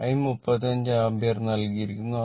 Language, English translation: Malayalam, I is equal to 35 ampere is given